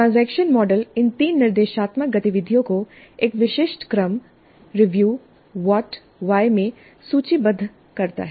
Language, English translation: Hindi, The transaction model lists these three instructional activities in one specific order, review what and why